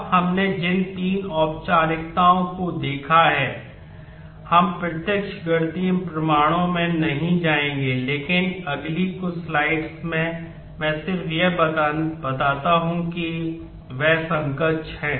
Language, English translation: Hindi, Now, of the three formalisms that we have seen we will not go into direct mathematical proofs, but in the next couple of slides, I just show that they are equivalent in nature